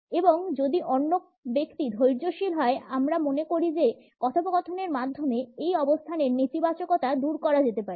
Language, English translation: Bengali, And if the other person is patient, we feel that the negativity can be taken away in this position through dialogue